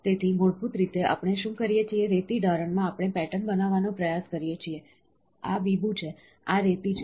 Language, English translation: Gujarati, So, basically what we do is, in sand casting we try to make patterns, this is mould, this is sand, ok